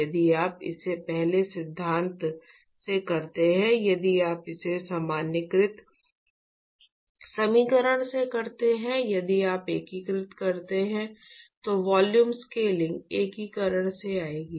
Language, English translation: Hindi, If you do it from the first principle, if you do it from the generalized equation, if you integrate etcetera, the volume scaling will actually come from the integration